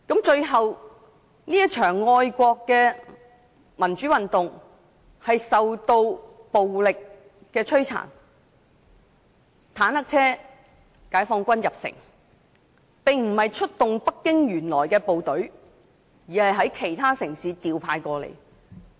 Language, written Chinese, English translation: Cantonese, 最後，這場愛國民主運動受到暴力鎮壓，解放軍駕着坦克車進城，出動的並非北京原來的部隊，而是從其他城市調派過來。, Finally this patriotic democratic movement was violently suppressed . The Chinese Peoples Liberation Army entered the city in tanks . These were not troops of Beijing; they were deployed from other cities